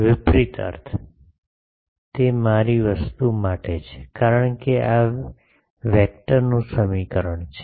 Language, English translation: Gujarati, Reverse means; that is for my thing, because this is a vector equation